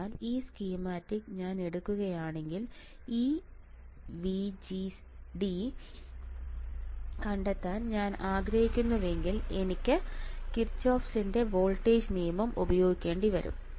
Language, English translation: Malayalam, So, if I take this example if I take this schematic, which is right in front of you guys and I want to find this VGD then I had to use a Kirchhoffs voltage law